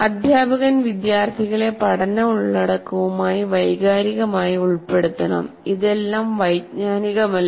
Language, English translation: Malayalam, This teacher should get students emotionally involved with the learning content